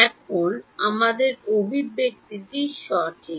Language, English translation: Bengali, Now our expression is correct